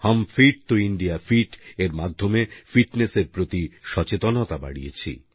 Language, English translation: Bengali, Through 'Hum Fit toh India Fit', we enhanced awareness, towards fitness